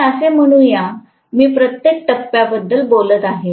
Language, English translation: Marathi, I am talking about for every phase